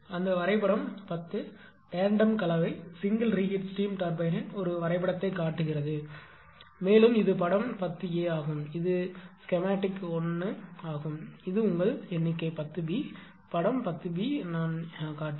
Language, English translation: Tamil, That figure 10, I shows a schematically diagram of tandem compound single reheat steam turbine and, figure this is actually figure ten a that is the schematic 1 and this is actually your figure 10 b, figure 10 b whatever I showed